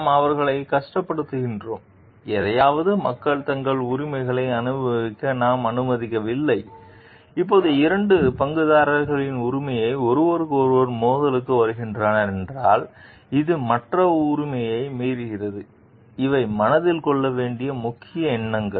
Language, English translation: Tamil, We are we making them suffer, we are not allowing people to enjoy their rights for something so, and now if rights of two stakeholders are coming to conflict with each other then, which right is supersedes the other right these are important thoughts to be kept in mind